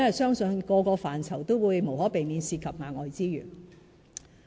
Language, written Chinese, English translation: Cantonese, 因為每個範疇無可避免涉及額外資源。, This is because each of these areas will inevitably involve the spending of additional resources